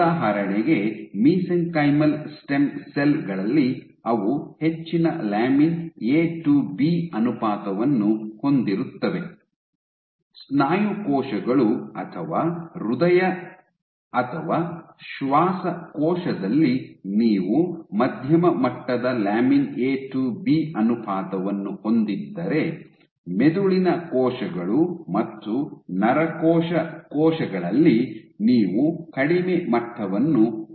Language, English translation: Kannada, So, in for example, in mesenchymal stem cells they have high lamin A to B ratio, in muscle cells muscle or heart or lung you have moderate levels of lamin A to B ratio, while in brain cells neuronal cells you have low and here